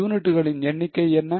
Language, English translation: Tamil, What is the number of units